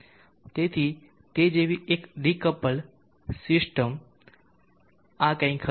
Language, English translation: Gujarati, So a decoupled system like that will be something like this